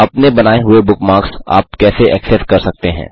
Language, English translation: Hindi, How can you access the bookmarks you create